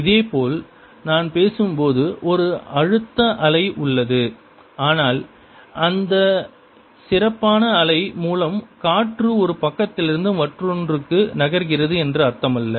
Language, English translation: Tamil, similarly, when i am speaking, there is a pleasure wave that is going, but does not mean that air is moving from one side to the other